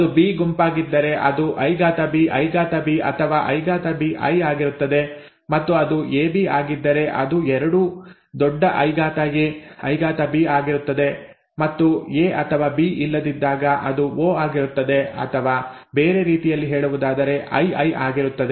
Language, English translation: Kannada, If it is it is a B group, if it is I capital B I capital B or I capital B small I, and if it is AB, if it is IA IB both capitals and if it is O, when neither A nor B are present or in other words, small i small i